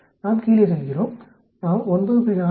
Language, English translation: Tamil, We go it down here we say 9